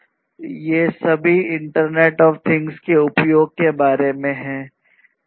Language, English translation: Hindi, These are all about the use of internet of things